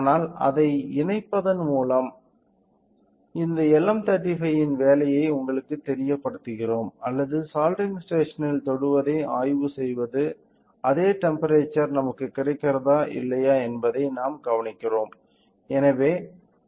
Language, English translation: Tamil, But, let us observed by connecting you know the working of this LM35 or by connecting it by you know just connecting it to or probing touching it to the soldering station whether we get the same temperature or not